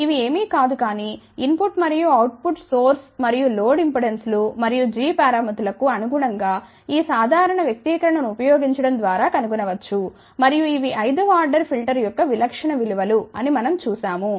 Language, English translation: Telugu, These are nothing, but corresponding to input and output, source as well as load impedances and g parameters can be found by using this simple expression and we had seen that these are the typical values for a fifth order filter